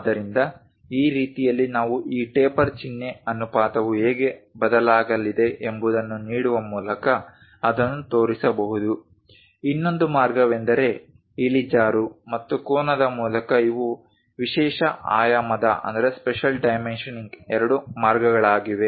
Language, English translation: Kannada, So, that way also we can really show it one by giving how this taper symbol ratio is going to change, the other way is through slope and angle these are two ways of special dimensioning